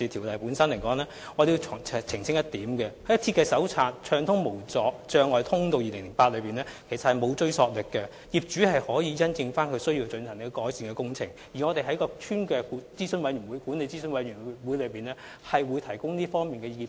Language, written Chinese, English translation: Cantonese, 我想澄清一點，《設計手冊：暢通無阻的通道2008》並沒有追溯力，業主可以因應需要進行改善工程，而我們會在屋邨管理諮詢委員會上向法團提供這方面的意見。, May I clarify that the Design Manual―Barrier Free Access 2008 has no retrospective effect . Owners can carry out improvement works as needed . We will provide advice in this regard for OCs in the Estate Management Advisory Committee